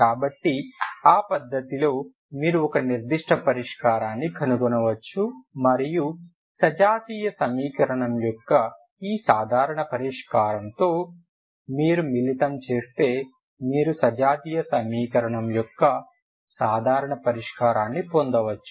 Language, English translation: Telugu, So with that method you can find a particular solution and then you combine with this general solution of the homogeneous equation to get the general solution of non homogeneous equation is what we have seen